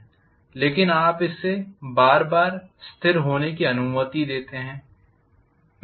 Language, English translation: Hindi, But you allow it to settle again and again